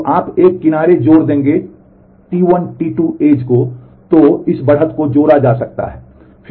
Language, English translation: Hindi, So, you will add an edge T 1 T 2 so, this edge gets added